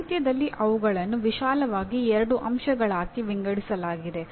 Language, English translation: Kannada, In the literature they are broadly divided into two aspects